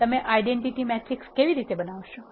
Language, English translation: Gujarati, How do you create identity matrix